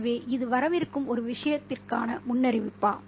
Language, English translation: Tamil, So is this a premonition for something which is going to come